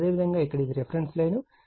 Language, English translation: Telugu, So, here it is your reference line